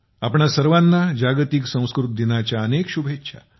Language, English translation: Marathi, Many felicitations to all of you on World Sanskrit Day